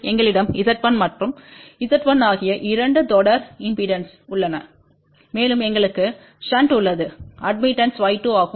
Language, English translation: Tamil, We have two series impedances Z 1 and Z 1 here and we have a 1 shunt admittance which is Y 2